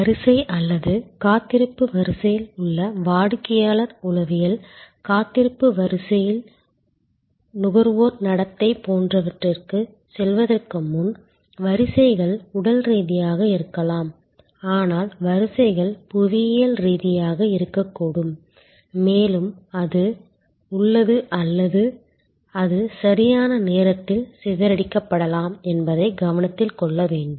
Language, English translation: Tamil, Before we move to the customer psychology in the queue or waiting line, consumer behavior in the waiting line, it is important to note that queues can be physical, but queues can also be geographical disposed and there is a or it can be dispersed in time and space and thereby actually a much higher level of satisfaction can be achieved